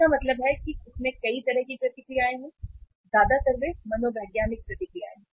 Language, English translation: Hindi, Means it has many kind of reactions; mostly they are the psychological reactions